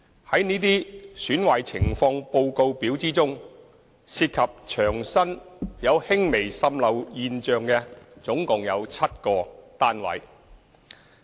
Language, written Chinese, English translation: Cantonese, 在這些"損壞情況報告表"之中，涉及牆身有輕微滲漏現象的共有7個單位。, Among the Defects Report Forms received a total of seven flats were reported with minor water seepage at the external walls